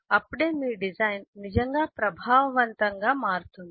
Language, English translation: Telugu, only then your design would become really effective